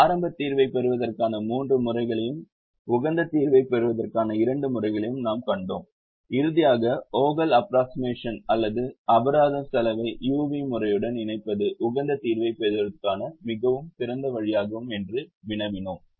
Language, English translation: Tamil, we saw three methods to get initial solution and two methods to get the optimum solution and finally said that the combination of the vogal's approximation or penalty cost with the u v method would is is a very nice way to get the optimum solution